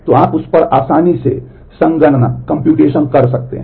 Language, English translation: Hindi, So, you can easily do the computation on that